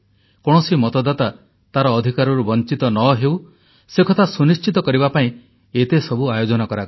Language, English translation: Odia, All this was done, just to ensure that no voter was deprived of his or her voting rights